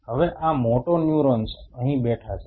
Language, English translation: Gujarati, Now so, these motoneurons are sitting here right